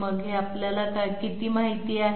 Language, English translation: Marathi, So how much do we know this